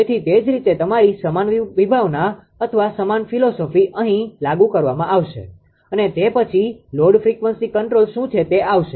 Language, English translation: Gujarati, So, similarly your same concept same concept or same philosophy will be ah V will be applied here and later will come what is load frequency control right